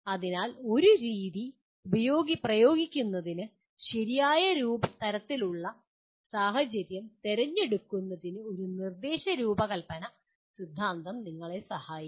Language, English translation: Malayalam, So an instructional design theory will also kind of help you in choosing the right kind of situation for applying a method